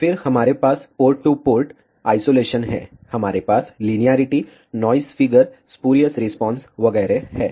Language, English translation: Hindi, Then we have a port to port isolation, we have linearity, noise figure, spurious response and so on